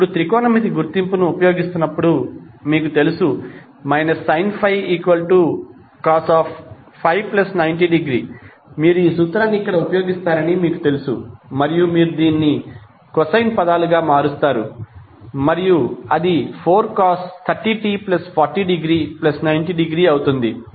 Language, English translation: Telugu, Now using technometric identity, what you will write, since you know that minus sine 5 is equal to cost 5 plus 90 degree, you will use this formula here and you will convert this into cosine terms and then it will become 4 cost 30 t plus 40 degree plus 90 degree